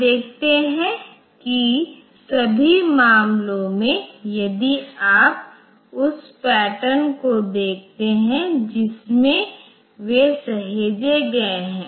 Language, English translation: Hindi, Now, you see that in all the cases if you look into the pattern in which they are saved